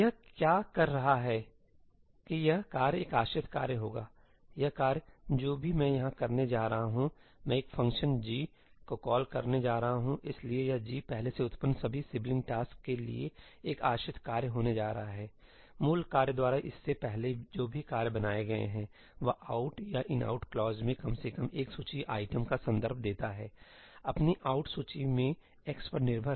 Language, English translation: Hindi, What it is saying is that this task will be a dependent task this task, whatever I am going to do over here, I am going to call a function g() so, this g() is going to be a dependent task for all the previously generated sibling tasks, whatever tasks have been created before this by the parent task, that reference at least one of the list items in an ëoutí or ëinoutí clause; ëdependí in their ëoutí list they have x